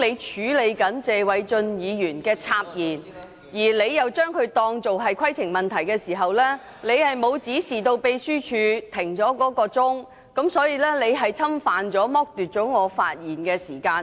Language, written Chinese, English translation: Cantonese, 主席，當謝偉俊議員插言時，你裁定他是提出規程問題，但你卻沒有指示秘書處暫停計時器，這是侵犯及剝奪了我的發言時間。, President when Mr Paul TSE interrupted me you ruled that he was raising a point of order but you did not instruct the Secretariat to pause the timer . This is an infringement on and deprivation of my speaking time